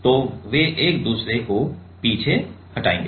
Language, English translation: Hindi, So, they will repel each other